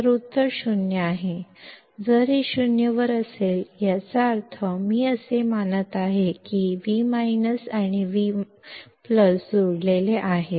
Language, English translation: Marathi, So, the answer is 0; if this is at 0; that means, I am assuming that V plus and V minus are connected